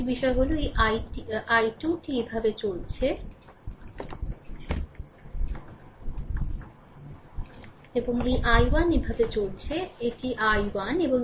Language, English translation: Bengali, Another thing is this i i 2 is moving this way; and this i 1 is moving this way this is your i 1